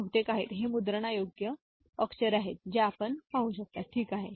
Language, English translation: Marathi, These are mostly these are printable characters that you can see, ok